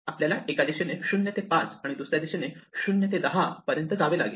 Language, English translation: Marathi, We have to go from 0 to 5 in one direction and 0 to 10 in the other direction